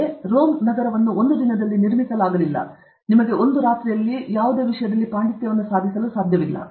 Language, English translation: Kannada, So, Rome was not built in a day; you cannot do, you cannot achieve this over night